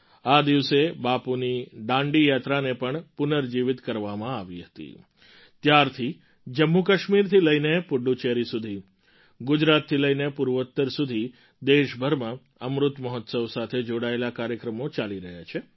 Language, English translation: Gujarati, On this very day, Bapu's Dandi Yatra too was revived…since then, from JammuKashmir to Puduchery; from Gujarat to the Northeast, programmes in connection with Amrit Mahotsav are being held across the country